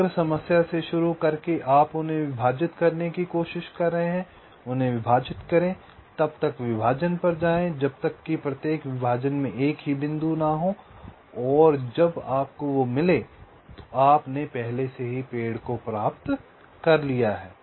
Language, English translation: Hindi, you are trying to divide them, partition them, go on partitioning till each partition consist of a single point and when you get that you have already obtained the tree right